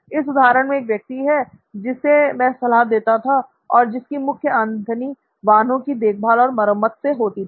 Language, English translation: Hindi, In another example, I had a client who had primary revenue coming from automobile servicing